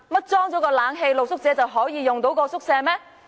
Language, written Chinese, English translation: Cantonese, 難道安裝冷氣後，露宿者便可以使用該宿舍嗎？, After the retrofitting of air - conditioning can street sleepers stay in the shelter?